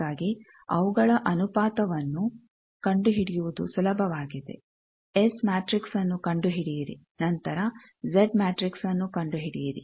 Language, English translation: Kannada, So, their ratio is easier to find, you find S matrix, then find the Z matrix